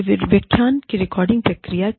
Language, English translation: Hindi, It is recording processing of the lecture